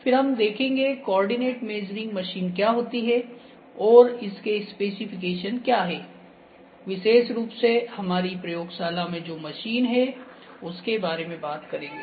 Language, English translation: Hindi, Then what is coordinate measuring machine and specification of this machine, the particular machine that we have in our lab that I will give you